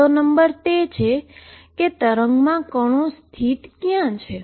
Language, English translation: Gujarati, Number one is where in the wave Is the particle located